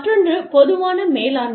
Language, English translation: Tamil, The other one is, common management